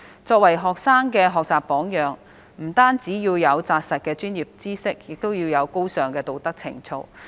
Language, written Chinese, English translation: Cantonese, 作為學生的學習榜樣，教師不單要有扎實的專業知識，亦要有高尚的道德情操。, Being the role models for students teachers should possess not only solid professional knowledge but also high moral values